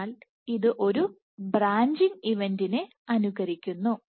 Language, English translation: Malayalam, So, this simulates a branching event